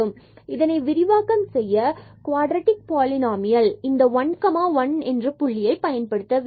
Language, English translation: Tamil, And we want to expand this only the quadratic polynomial around this point 1 1